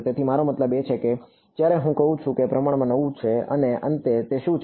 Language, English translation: Gujarati, So, that is what I mean when I say it is relatively new and finally, what is it